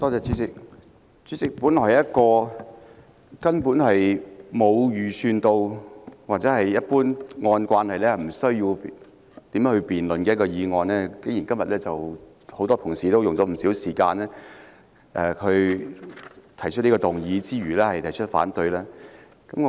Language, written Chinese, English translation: Cantonese, 主席，這本來是根本沒有預計或按照慣例無須辯論的事項，今天竟然有很多同事花了不少時間，動議議案並發言反對給予許可。, President this agenda item is supposed to be waived through without a debate . It has neither been anticipated nor by convention necessary . But many colleagues today actually spent a lot of time moving a motion and speaking in opposition to granting the leave